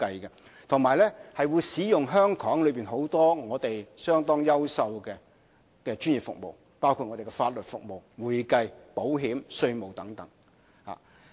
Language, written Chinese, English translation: Cantonese, 此外，也會使用香港許多優秀的專業服務，包括法律、會計、保險、稅務服務等。, Besides we also need to use many outstanding professional services in Hong Kong including legal accounting insurance taxation services etc